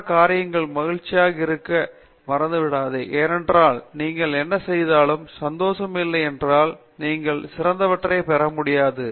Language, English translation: Tamil, The other thing is don’t forget to be happy because if you are not happy whatever you do, you cannot get the best of things